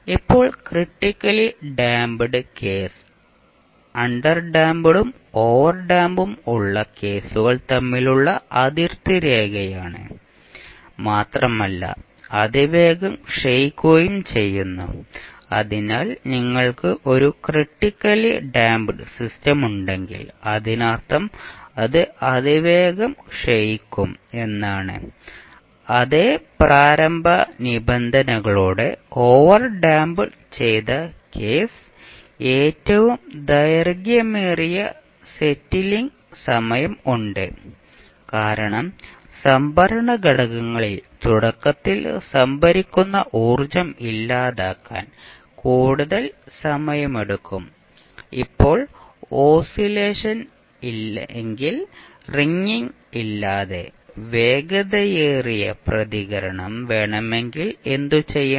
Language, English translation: Malayalam, Now the critically damped case is the border line between the underdamped and overdamped cases and decays the fastest, so if you have a system which is critically damped it means it will decay the fastest, with the same initial conditions the overdamped case has the longest settling time, because it takes the longest time to dissipate the initially store energy in the storage elements, now if you want the fastest response without oscillation or ringing, what we need to do